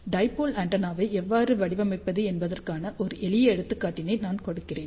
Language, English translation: Tamil, So, let me just give you simple example how to design a dipole antenna